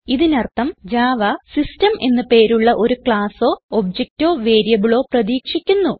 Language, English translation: Malayalam, This means, Java is expecting a class or object or a variable by the name system